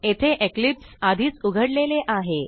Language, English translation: Marathi, I have already opened Eclipse